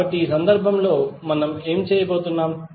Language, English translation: Telugu, So in this case, what we are going to do